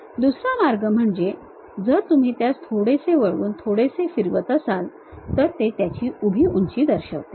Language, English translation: Marathi, In other way if you are slightly rotating twisting it, then it shows that vertical height of that